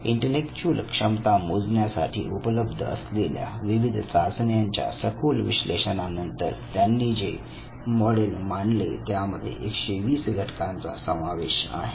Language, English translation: Marathi, So, based on the massive analysis of the existing tests that would measure intellectual ability he came forward with some model which had 120 factors